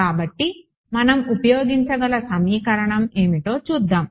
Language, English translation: Telugu, So, what is the let us see what is the equation that we can use